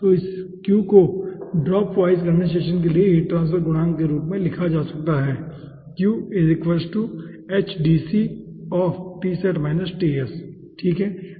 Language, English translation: Hindi, we will be predicting the heat transfer coefficient in dropwise condensation